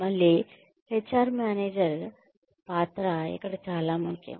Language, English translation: Telugu, Again, the role of the HR manager is very important here